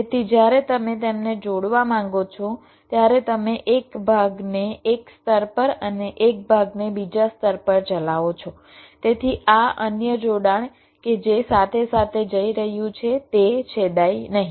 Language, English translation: Gujarati, so when you want to connect them, you run a part on one layer, a part on other layer, so that this another connection that is going side by side does not intersect